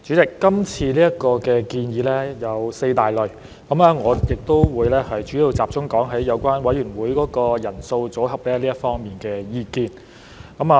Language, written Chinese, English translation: Cantonese, 代理主席，今次建議有四大類，我會主要集中論述有關委員會人數和組合這方面的意見。, Deputy President the current proposals are divided into four major categories and I will mainly focus my discussion on the views on the size and composition of committees